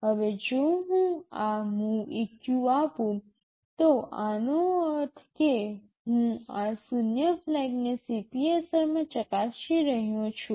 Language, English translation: Gujarati, Now if I give this MOVEQ, this means I am checking this zero flag in the CPSR